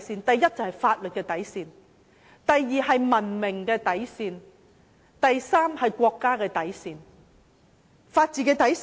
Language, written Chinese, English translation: Cantonese, 第一，法治的底線；第二，文明的底線；第三，國家的底線。, First the bottom line of the rule of law; second the bottom line of civilization; third the bottom line of the country